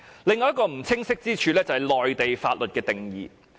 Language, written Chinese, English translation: Cantonese, 另一個不清晰之處是內地法律的定義。, Another point of ambiguity is concerned with the definition of the laws of the Mainland